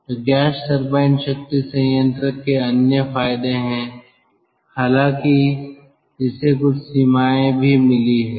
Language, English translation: Hindi, so there are other advantages of gas turbine, gas turbine power plant, though it has got also certain limitations